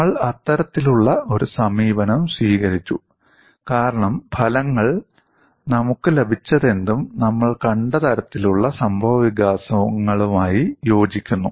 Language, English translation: Malayalam, We have accepted that kind of an approach, because the results whatever that we have got were in tune with the kind of developments that we have seen